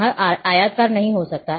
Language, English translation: Hindi, It cannot be rectangular